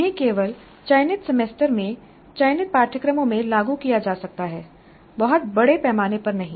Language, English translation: Hindi, They can be implemented only in selected semesters in selected courses, not on a very large scale